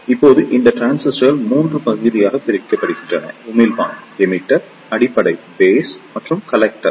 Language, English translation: Tamil, Now these transistors are divided into 3 regions; Emitter, Base and the Collector